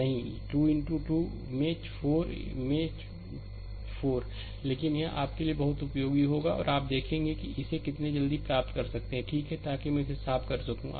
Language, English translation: Hindi, Not 2 into 2 not 4 into 4, but this will be very useful for you and you will see how quickly you can obtain it, right so, that me clean it , right